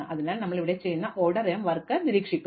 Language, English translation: Malayalam, So, it gets observed in this order m work that we are doing here